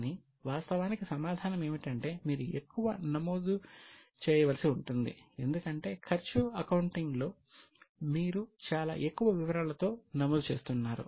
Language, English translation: Telugu, Actually the answer is you do to need to record more because in cost accounting you are recording with lot of more details